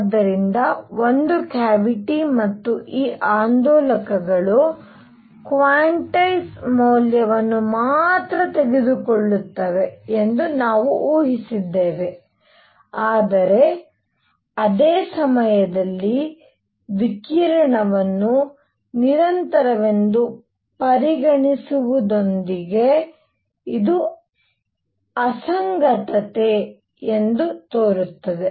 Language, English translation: Kannada, So, what we had assumed that there is a cavity and these oscillators take only quantize value, but at the same time, with treating the radiation as if it is continuous, this seems to be an inconsistency